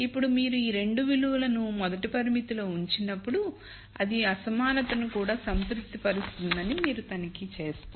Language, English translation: Telugu, Now when you put these 2 values into the first constraint you will check that it actually satisfies the inequality also